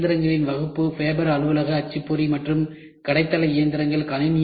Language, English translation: Tamil, So, class of machines are fabber, office printer and shop floor machines